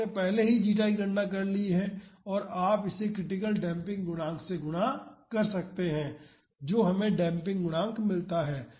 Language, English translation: Hindi, So, you have calculated the zeta already and you can multiply it with the critical damping coefficient we get the damping coefficient